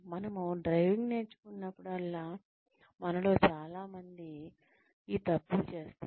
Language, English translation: Telugu, Whenever, we learn driving, most of us make these mistakes